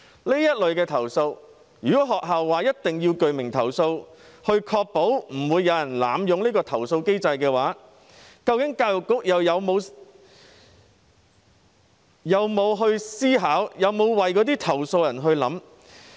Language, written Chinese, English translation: Cantonese, 就這類投訴，如果學校要求必須提出具名投訴，確保不會有人濫用投訴機制，教育局究竟又有否思考，有否為投訴人設想？, In respect of complaints in this regard if schools only accept signed complaints to ensure that no one will abuse the complaint mechanism has the Education Bureau given any thought to this and thought about the complainant?